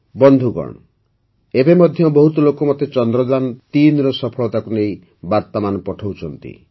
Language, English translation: Odia, Friends, even today many people are sending me messages pertaining to the success of Chandrayaan3